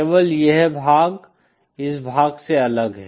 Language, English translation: Hindi, Only this part is different from this part